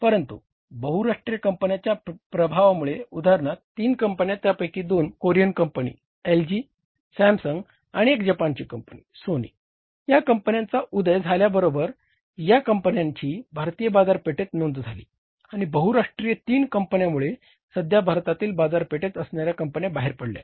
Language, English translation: Marathi, But with the influx of multinational companies, for example three companies, two Korean, one is the LG Samsung, two Korean companies, one is the say Japanese company Sony with the say emergence of these companies with the entry of these companies in the Indian market the multinational three companies in the Indian market the existing companies have gone out of the market